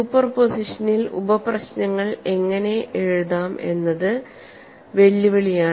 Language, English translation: Malayalam, So the whole challenge lies in writing out the sub problems